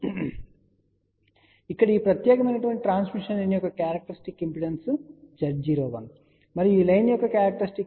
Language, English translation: Telugu, So, here the characteristic impedance of this particular transmission line is Z 0 1 and the characteristic impedance of this line is Z 0 2